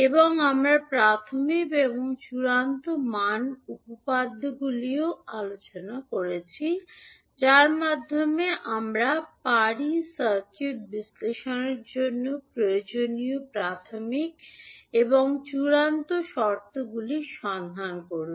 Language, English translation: Bengali, And we also discussed the initial and final value theorems also through which we can find out the initial and final conditions required for circuit analysis